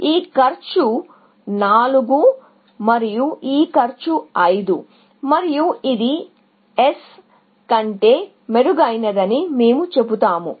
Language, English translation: Telugu, This one cost 4 and this one cost 5, and we will say that this is better than S